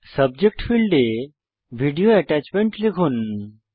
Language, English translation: Bengali, In the Subject field, type Video Attachment